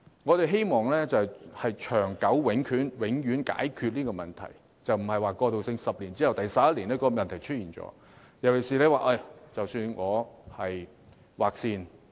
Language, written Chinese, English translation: Cantonese, 我們希望能長久地、永遠解決這個問題，而非過渡性質，即10年過後，問題便在第11年出現。, We hope to find a permanent solution so that the problem may be resolved once and for all instead of a transitional solution which cannot prevent recurrence of the problem in the 11 year after a decade